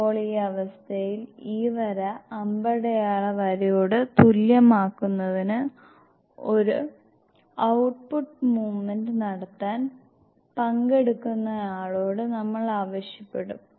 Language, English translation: Malayalam, Now in this condition we will ask the participant to make an output movement to make this line equivalent the arrow headed line like this